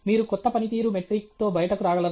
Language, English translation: Telugu, Can you deviate and come out with a new performance metric